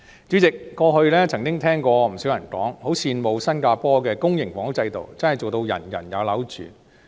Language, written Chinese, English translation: Cantonese, 主席，過去曾聽過不少人說，很羨慕新加坡的公營房屋制度真正做到"人人有樓住"。, President I have heard many people expressing admiration for the public housing system in Singapore which truly achieves housing for everyone